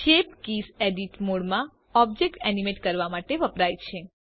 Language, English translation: Gujarati, Shape Keys are used to animate the object in edit mode